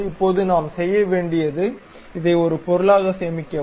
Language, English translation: Tamil, Now, what we have to do save this one as an object